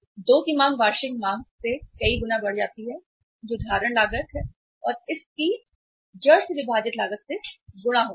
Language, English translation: Hindi, 2 multiplied by the demand annual demand multiplied by the carrying cost divided by the holding cost and and the root of this